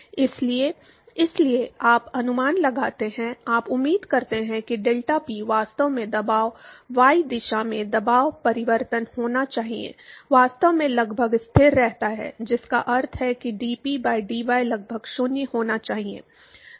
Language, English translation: Hindi, So, therefore, you approximate therefore, you expect that the deltaPy, the pressure actually, pressure change in the y direction, should actually remain approximately constant, which means that dP by d y should be approximately 0